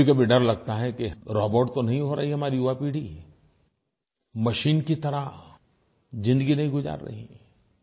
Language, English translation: Hindi, Sometimes you feel scared that our youth have become robot like, living life like a machine